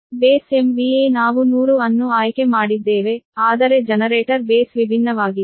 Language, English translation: Kannada, so base m v a: we have chosen hundred, but generator base different